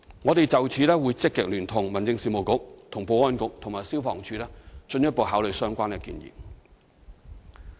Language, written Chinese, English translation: Cantonese, 我們會就此積極聯同民政事務局、保安局及消防處進一步考慮有關建議。, We will actively consider this proposal with the Home Affairs Bureau Security Bureau and the Fire Services Department